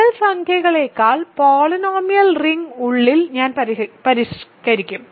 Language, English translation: Malayalam, What about I will modify inside still the polynomial ring over real numbers